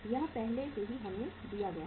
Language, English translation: Hindi, It is already given to us